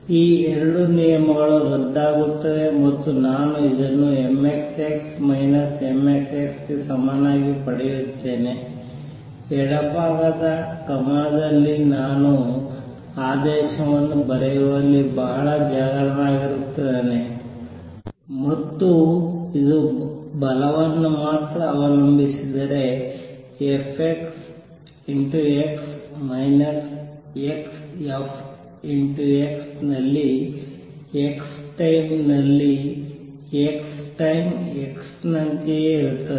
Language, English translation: Kannada, These 2 terms cancel and I get this equal to m x double dot x minus m x double dot x, on the left hand side notice that i am being very careful in writing the order and this is nothing but the force x times x minus x force x if force depends only on x, x time x is same as x times x